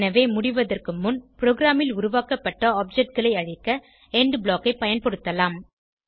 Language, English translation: Tamil, So, one use of END block is to destroy objects created in the program, before exiting